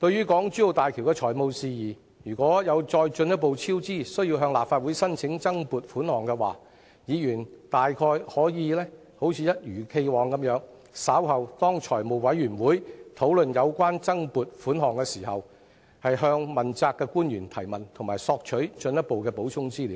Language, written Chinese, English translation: Cantonese, 港珠澳大橋工程如再進一步超支，政府因而需要向立法會申請增撥款項的話，議員可以一如既往，在財務委員會稍後討論有關增撥款項申請時，向問責官員提問及索取進一步的補充資料。, If there is a further cost overrun in the HZMB project and the Government has to seek additional funds from the Council Members may as usual ask the Principal Officials under the accountability system and obtain supplementary information from them later when deliberation is conducted at the Finance Committee on the application for additional funds